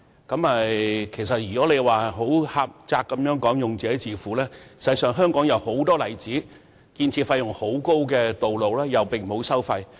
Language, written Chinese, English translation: Cantonese, 儘管政府以"用者自付"原則作為回應，但香港有很多建造費用高昂的道路其實並無收費。, Although the Government has in its response said that tolls were set in accordance with the user - pays principle the reality is that many roads in Hong Kong are toll - free despite their high construction costs